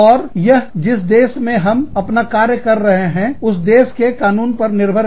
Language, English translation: Hindi, And, that depends on, the law of the land, that you are operating in